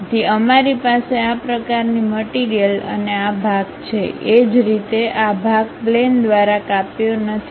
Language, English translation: Gujarati, So, we have such kind of material and this part; similarly a background this part is not sliced by the plane